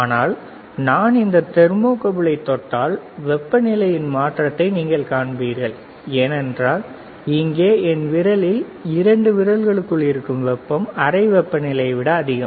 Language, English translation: Tamil, But if I touch this thermocouple, you will see the change in temperature, if I touch the thermocouple; you will see the change, because the heat here in my hand within to 2 fingers is more than the room temperature